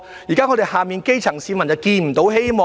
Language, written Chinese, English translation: Cantonese, 現時我們的基層市民看不到希望。, Our grass roots can see no hope right now